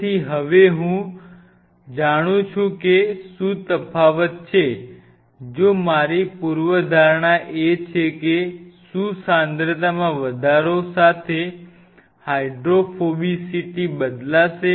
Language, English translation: Gujarati, So, now, I know now what is the difference, if at all so, my hypothesis is that whether with the increase in concentration the hydrophobicity or hydrophobicity will change